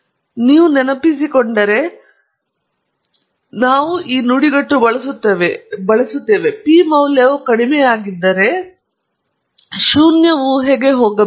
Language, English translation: Kannada, And if you recall, we use a phrase if the p value is low the null hypothesis must go